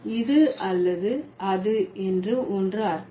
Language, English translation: Tamil, So, it could mean either this or that